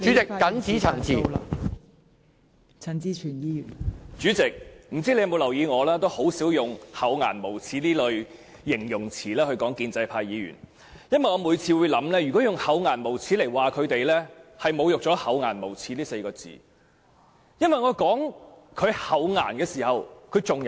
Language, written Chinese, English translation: Cantonese, 代理主席，我不知道你有否留意，我很少用"厚顏無耻"這類形容詞來形容建制派議員，因為我認為，如果用"厚顏無耻"形容他們，是侮辱了"厚顏無耻"這4個字，因為他們最少還有"顏"。, Deputy President I do not know if you have noticed that I rarely use adjectives like shameless to describe pro - establishment Members because in my view to describe them with word shameless would humiliate the word because they still have some shame